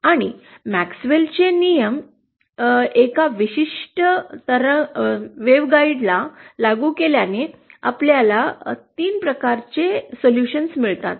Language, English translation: Marathi, And by applying MaxwellÕs laws to a particular waveguide what we call a rectangular waveguide like this, we get 3 types of solutions